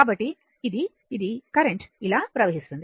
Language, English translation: Telugu, So, current will flow like this